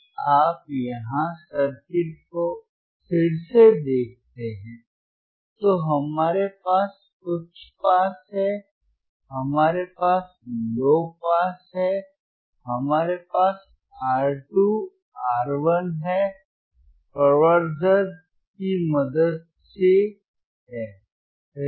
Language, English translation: Hindi, So, iIf you see the circuit here again, we have we have high pass, we have low pass, we have the amplification with the help of R 2, R 1, right